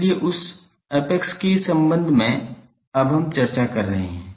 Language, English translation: Hindi, So, with respect to that apex we are now discussing